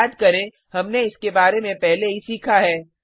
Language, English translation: Hindi, Recall, we had learnt about this earlier